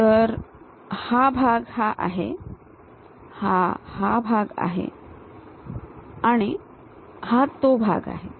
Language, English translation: Marathi, So, this one is this, this one is this and this part is that